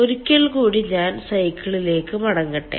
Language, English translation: Malayalam, let me go back to the cycle once again